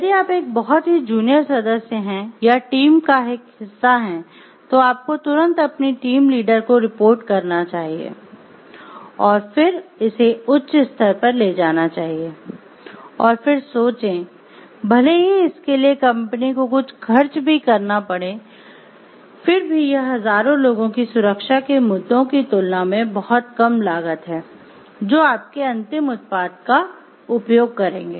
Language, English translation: Hindi, If you are a very junior member who had or as a part of the team, you should immediately report it to your team lead and then take it to the higher ups and then think even if it may cost something to the company now, it is much lesser cost as compared to the safety issues of the thousands and thousands of people, who may be using your final product